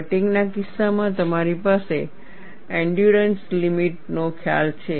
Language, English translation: Gujarati, In the case of fatigue, you have a concept of endurance limit